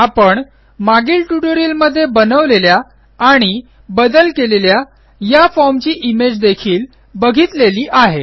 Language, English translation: Marathi, We also saw this image of the form that we started creating and modifying in the last tutorial